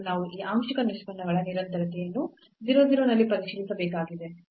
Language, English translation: Kannada, So, we need to check the continuity of these partial derivatives at 0 0